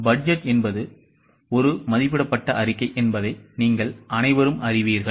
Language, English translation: Tamil, First of all, you all know that budget is an estimated statement